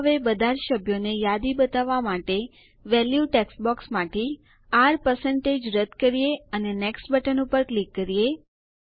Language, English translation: Gujarati, Let us now delete the R% from the value text box to list all the members and click on the Next button